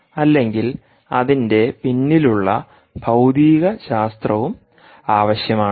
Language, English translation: Malayalam, you must know the physics behind the process